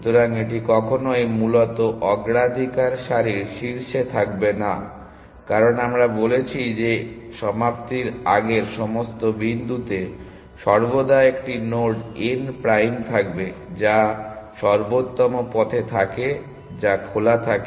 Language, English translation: Bengali, So, it will never be at the head of the priority queue essentially, because we have said that at all points before termination, there is always a node n prime which is on the optimal path and which is on open